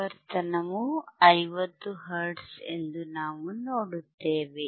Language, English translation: Kannada, And frequency is frequency is 50 hertz frequency is 50 hertz